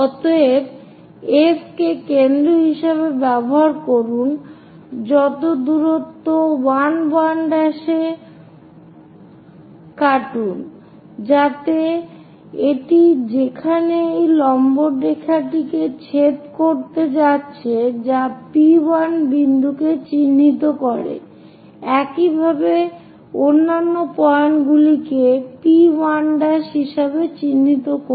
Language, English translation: Bengali, So, use F as center whatever the distance 1 1 prime cut this one, so that where it is going to intersect this perpendicular line that mark as P 1 point similarly mark other point as P 1 prime